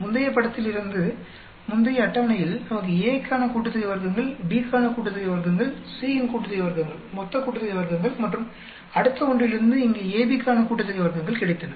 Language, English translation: Tamil, From the previous figure; in the previous table, we got the sum of squares for A, sum of squares for B, sum of squares of C, total sum of squares and then from the next one we got sum of squares for AB here